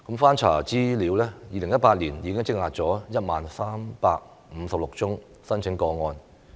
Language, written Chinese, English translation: Cantonese, 翻查資料 ，2018 年已積壓 10,356 宗申請個案。, Having accessed the relevant information I realized that there was a backlog of 10 356 applications in 2018